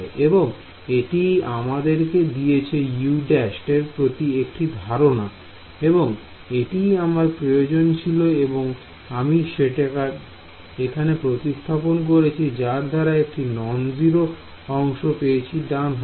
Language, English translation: Bengali, So, that gave me a condition for u prime, basically that is what I wanted and that u prime is what I substituted over here and that gives me a non zero right hand side right